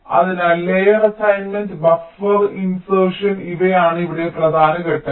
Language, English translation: Malayalam, so, layer assignment, buffer insertion, these are the important steps here